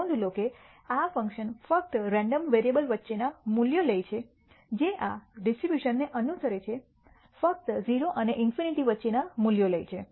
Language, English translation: Gujarati, Notice that this function takes values only between the random variable which follows this distribution takes values only between 0 and infinity